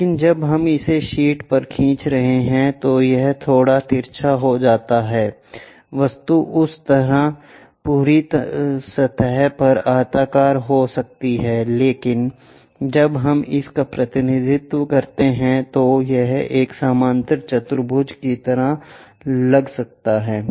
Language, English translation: Hindi, But when we are drawing it on the sheet, it might be slightly skewed, the object might be rectangular on that top surface, but when we are representing it might look like a parallelogram